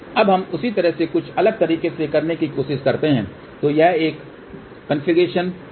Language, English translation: Hindi, Now let us try to do the same thing in a slightly different way so this is a configuration two